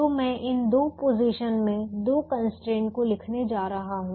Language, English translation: Hindi, so i am going to write the two constraints in these two positions